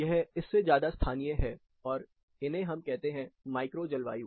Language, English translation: Hindi, These are more localized than this; we term them as micro climate